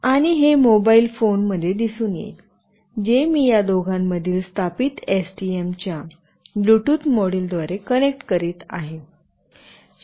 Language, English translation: Marathi, And that will be displayed in a mobile phone, which I will be connecting through the Bluetooth module of with STM that is established between these two